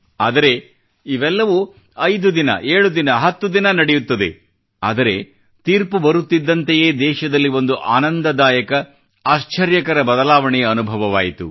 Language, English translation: Kannada, But this scenario had continued for five days, or seven days, or ten days, but, the delivery of the court's decision generated a pleasant and surprising change of mood in the country